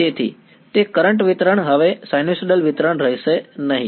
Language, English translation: Gujarati, So, that current distribution will no longer be a sinusoidal distribution